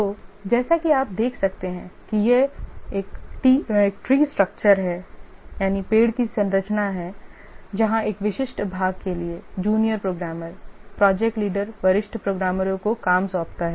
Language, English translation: Hindi, So as you can see this is the tree structure where the junior programmers for a specific part the project leader assigns work to the senior programmers, the different parts of the project are done by different senior programmers